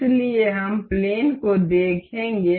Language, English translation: Hindi, So, we will see plane